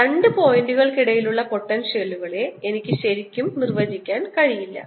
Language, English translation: Malayalam, therefore i cannot really define potential between two points